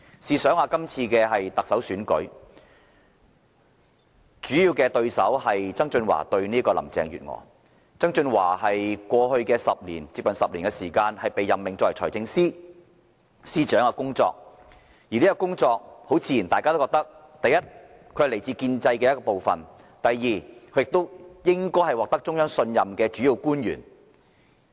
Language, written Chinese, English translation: Cantonese, 試想一下，今次特首選舉的主要競爭對手是曾俊華和林鄭月娥，前者在過去接近10年的時間內被任命為財政司司長，大家自然認為第一，這份工作屬建制的一部分；第二，他應該是獲得中央信任的主要官員。, Just imagine the major contestants in the Chief Executive Election held this year were John TSANG and Carrie LAM and the former has previously been appointed as the Financial Secretary for almost 10 years . It would only be natural for all of us to consider that first of all his appointment has rendered him a member of the establishment; and secondly he should be a principal official who has the trust of the Central Authorities